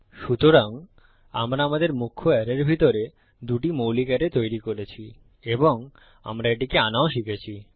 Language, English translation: Bengali, So weve made our two basic arrays inside our main arrays, and weve learnt to call it